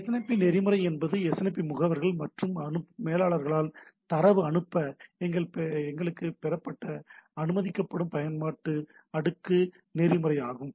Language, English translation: Tamil, SNMP protocol is the application layer protocol used by SNMP agents and manager to send the send and receive data, right